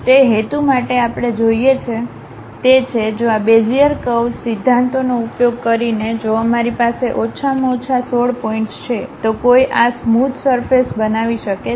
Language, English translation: Gujarati, For that purpose what we require is, if we have minimum 16 points by using these Bezier curves principles, one can construct this one a smooth surface